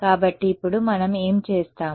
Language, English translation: Telugu, So, now what we do